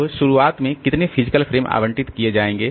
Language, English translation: Hindi, Now, how many physical frames will be allocated at the beginning